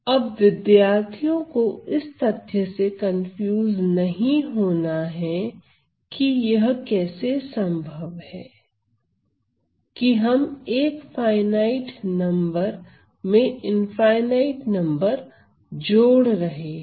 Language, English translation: Hindi, Now, student should not confuse with this fact that what how is this possible that we are adding finite number to an infinite number